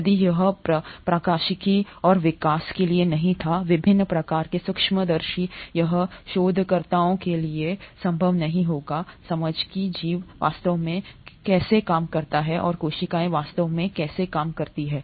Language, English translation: Hindi, Had it not been for the optics and development of different kinds of microscopes, it would not have been possible for researchers to understand how life really works and how the cells really work